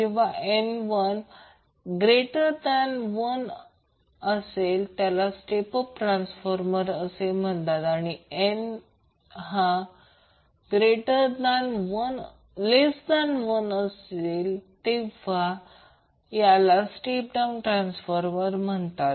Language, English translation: Marathi, When N greater than one it means that the we have the step of transformer and when N is less than one it is called step down transformer